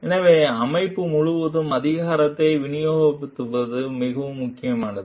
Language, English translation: Tamil, So, it is very critical to distribute power throughout the organization